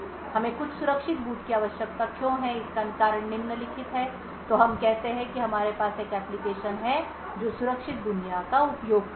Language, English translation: Hindi, The reason why we require some secure boot is the following, so let us say that we are having an application that uses the secure world